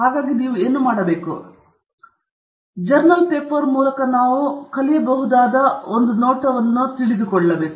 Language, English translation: Kannada, So what we will do is, we will look through this journal paper and look thorough what we can learn from the paper